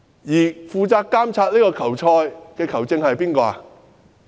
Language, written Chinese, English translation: Cantonese, 而負責監察這場球賽的球證是誰？, Who is the referee responsible for judging in this match? . Secretary Frank CHAN